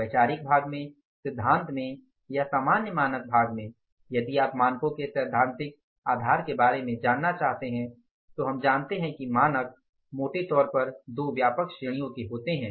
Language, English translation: Hindi, In conceptual part in the theory, in the normal standards part if you want to know about the theoretical basis of the standards, then we know that the standards are largely of the two broad categories